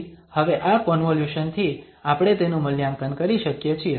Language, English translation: Gujarati, So, having this convolution now we can evaluate this